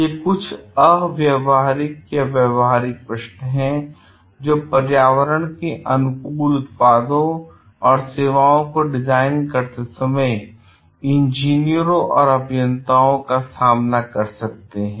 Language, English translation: Hindi, These are some of the practical questions that engineers may face while designing environmentally friendly products and services